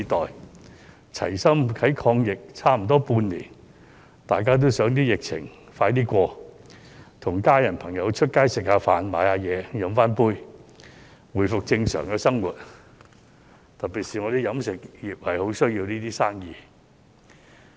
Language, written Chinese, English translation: Cantonese, 在齊心抗疫差不多半年，大家也希望疫情盡快過去，與家人朋友外出吃飯，買東西，喝一杯，回復正常的生活，特別是飲食業十分需要這些生意。, After fighting together against the epidemic for nearly half a year the public hope that the epidemic will be over very soon and they can have their lives back to normal so that they can go out to have meals with friends to do shopping and have a drink . Such businesses are particularly needed by the catering sector